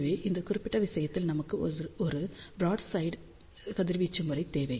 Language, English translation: Tamil, So, in this particular case we wanted a broadside radiation pattern